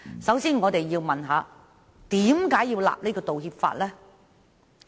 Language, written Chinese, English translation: Cantonese, 首先，我們要問：為何要訂立道歉法呢？, We should ask in the first place Why do we need an apology law?